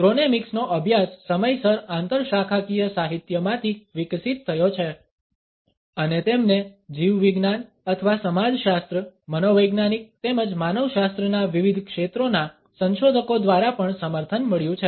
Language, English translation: Gujarati, Studies of chronemics have developed from interdisciplinary literature on time and they have been also supported by researchers in diversified fields of biology or sociology, psychology as well as anthropology